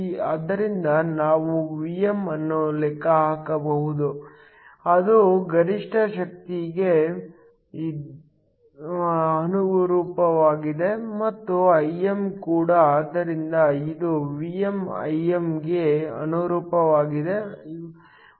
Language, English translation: Kannada, So, we can calculate the Vm which corresponds to the maximum power and also the Im, so this is Vm corresponds to Im